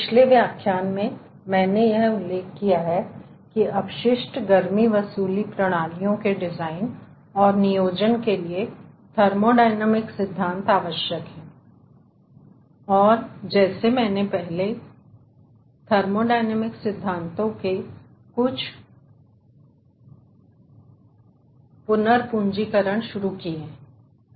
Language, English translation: Hindi, ah, in the last lecture i have mentioned that thermodynamic principles are essential for the design and planning of waste heat recovery system and as such we have started some recapitulation of thermodynamic principles